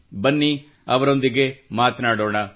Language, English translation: Kannada, Let's talk to them